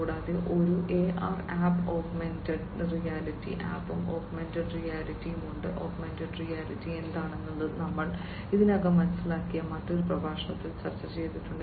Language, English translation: Malayalam, And there is a AR app Augmented Reality app and augmented reality, we have discussed it in another lecture what is augmented reality we have already understood it